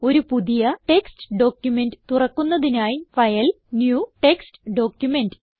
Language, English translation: Malayalam, Lets open a new text document by clicking on File, New and Text Document option